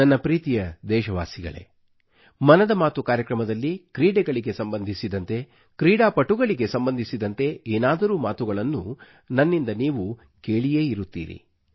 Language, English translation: Kannada, My dear countrymen, many a time in 'Mann Ki Baat', you must have heard me mention a thing or two about sports & sportspersons